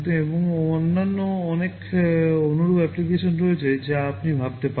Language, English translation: Bengali, And there are many other similar applications you can think of